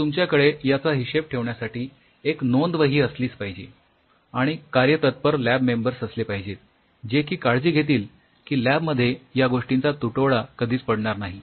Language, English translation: Marathi, So, you have to have log register keeping track of it and you have dedicated members of the lab, we will ensure that your lab never runs out of it